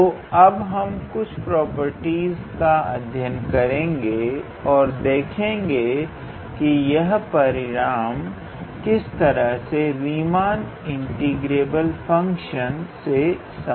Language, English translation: Hindi, So, we will look into a few properties and how to say some results related to Riemann integrable function